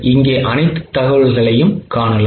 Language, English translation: Tamil, Here you can see all the information